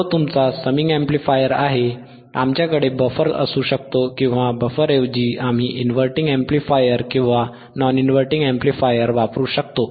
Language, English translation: Marathi, That is your summing amplifier, we can have the buffer or we can change the buffer in instead of buffer, we can use inverting amplifier or non inverting amplifier